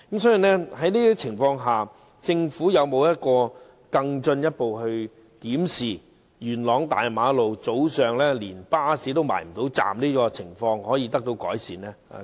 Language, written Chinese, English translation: Cantonese, 所以，在這種情況下，政府會否進一步檢視如何改善元朗大馬路早上巴士未能靠站停車的情況呢？, Hence under such circumstances will the Government further examine how to improve the situation of buses being unable to pull over at bus stops on Castle Peak Road in the morning?